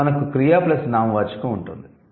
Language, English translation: Telugu, Then we have verb plus noun